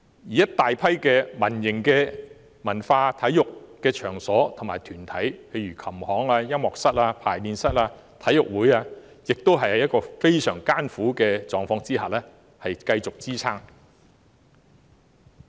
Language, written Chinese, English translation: Cantonese, 此外，大批民營文化體育場所和團體，例如琴行、音樂室、排練室和體育會等，也是在非常艱苦的狀況下繼續支撐。, They can hardly live on . Moreover a large number of cultural and sports venues and organizations in the private sector such as musical instrument shops music rooms rehearsal rooms and sports clubs barely manage to hang on in dire straits